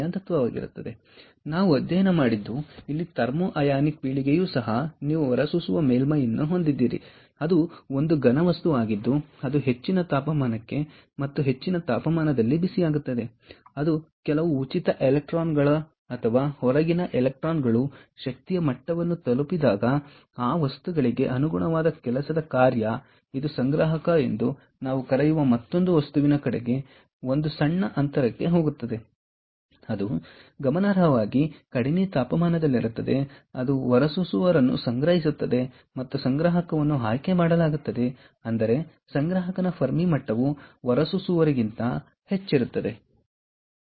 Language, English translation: Kannada, here also you have an emitter surface, which is a material, a solid, which is heated to high temperature and at that high temperature, when it, when some of the free electrons or the outer electrons attain energy levels higher than that of the work function corresponding to that material, it goes to a small gap towards another material, which we call the collector, which is at a significantly lower temperature where it gets collected